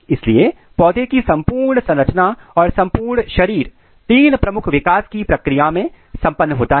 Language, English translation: Hindi, So, the total architecture or total body plan of a plant is achieved in three major development